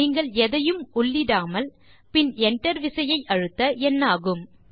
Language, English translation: Tamil, What happens when you do not enter anything and hit enter